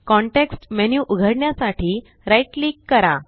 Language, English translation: Marathi, Now right click to open the context menu